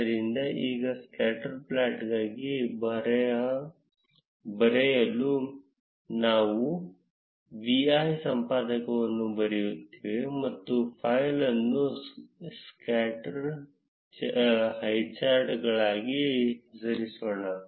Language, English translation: Kannada, So, now, to write the script for the scatter plot, we will write vi editor and let us name the file to be scatter highcharts